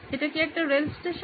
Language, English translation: Bengali, Is this a railway station